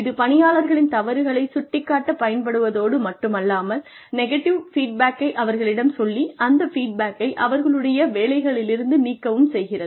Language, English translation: Tamil, It does not only use this to blame employees, and tell them, and give them, negative feedback, and throw them out of their jobs